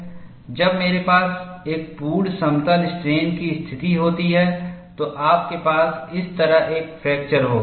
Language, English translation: Hindi, When I have a complete plane strain situation, you will have a fracture like this